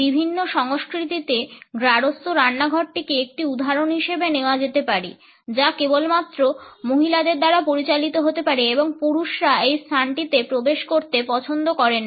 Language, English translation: Bengali, The domestic kitchen in various cultures can be taken as an example which can be governed only by women and men would not prefer to enter this space